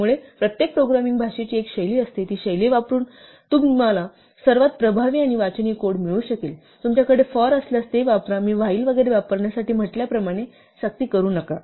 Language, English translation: Marathi, So, every programming language has a style use the style to make for the most effective and readable code you can find; if you have a 'for' use it, do not force as I said to use a while and so on